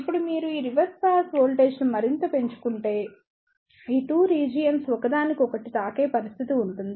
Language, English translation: Telugu, Now, if you increase this reverse bias voltage further, there will be a situation that these 2 regions will touch each other